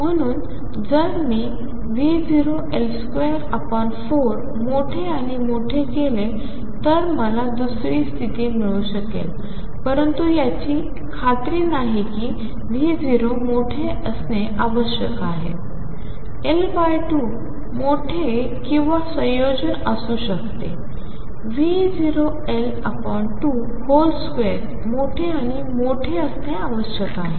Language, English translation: Marathi, So, that if I make V naught times L square by 4 bigger and bigger I may get the second state, but that is not guaranteed for that the V naught has to be larger, L naught by 2 can be larger or a combination V naught L by 2 square has to be larger and larger